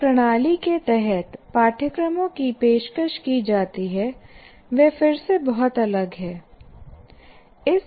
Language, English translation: Hindi, So the system under which the course is offered is very different again